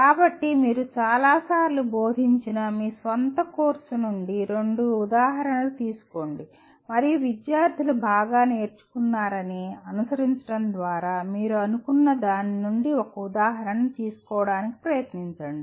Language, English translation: Telugu, So take two examples from your own course which you have taught several times and try to take an example from that you thought by following that the students have learned better